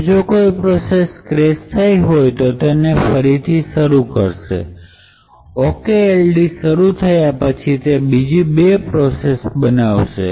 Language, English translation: Gujarati, If it has crashed then it would restart that particular process, after the OKLD process starts to execute, it would create two more processes